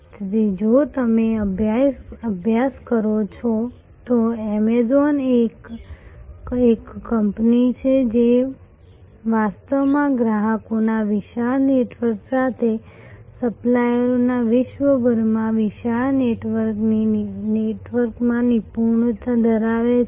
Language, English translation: Gujarati, So, Amazon if you study is a company which is a company, but it is actually mastering a huge network across the globe of suppliers with a huge network of customers